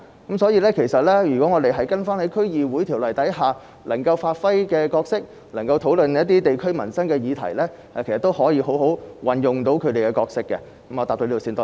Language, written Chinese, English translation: Cantonese, 因此，如果區議會能夠根據《區議會條例》，好好地發揮其角色，討論地區民生議題，其實是可以有效地履行其職能的。, Hence if DCs can properly play their roles under DCO and deliberate over livelihood issues in the districts they can in fact perform their duties effectively